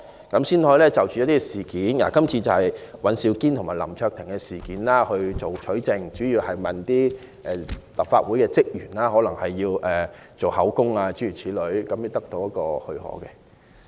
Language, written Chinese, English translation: Cantonese, 今次律政司要就尹兆堅議員及林卓廷議員一案取證，主要須向立法會職員錄取口供等，故要取得立法會的許可。, On this occasion the Department of Justice DoJ has to obtain evidence regarding the case of Mr Andrew WAN and Mr LAM Cheuk - ting mainly seeking to take a statement etc . from the staff of the Legislative Council . Such leave of the Legislative Council is therefore required